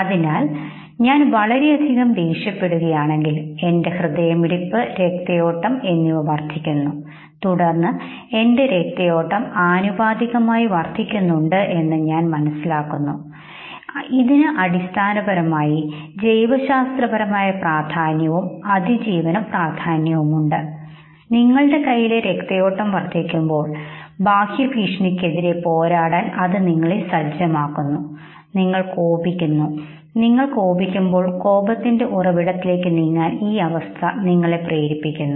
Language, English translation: Malayalam, So if I am extremely angry, my heartbeat increases the blood flow increases, and then you realize that in the hands there is no disproportionately high blood flow, which basically has again biological significance, a survival significance, because it prepares you to fight okay, your increase blood flow in the hand prepares you to fight against the external threat, you are angry, your anger will make you move towards the source of anger okay